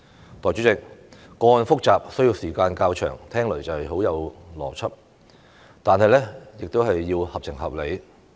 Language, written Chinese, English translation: Cantonese, 代理主席，個案複雜需時較長，聽起來很有邏輯，但亦要合情合理。, Deputy President the saying that it takes a long time to process a complex case sounds logical but it also needs to be rational and reasonable